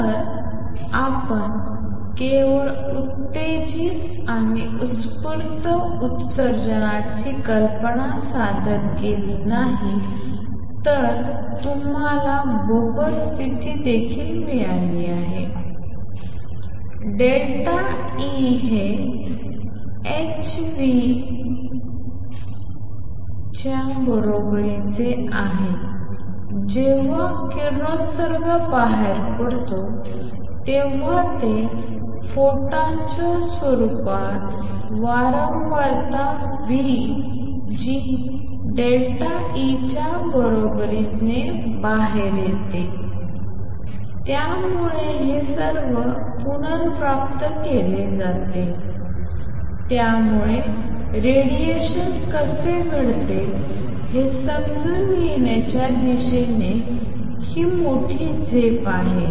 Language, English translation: Marathi, So, not only we have introduced the idea of stimulated and spontaneous emissions you have also got the Bohr condition the delta E is equal to h nu when the radiation comes out it comes out in the form of a photon with frequency nu equals delta E over h; so all that is recovered, so this was the great leap towards understanding how radiation takes place